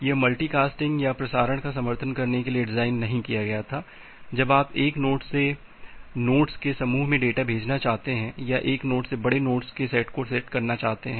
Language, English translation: Hindi, It was not designed to support multi casting or broadcasting, when you want to send data from one node to a group of nodes, or from one node to set of large set of nodes